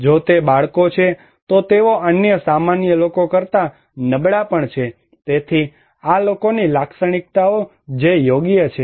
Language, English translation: Gujarati, If they are kids, they are also vulnerable than other common people, so the characteristics of these people that matter right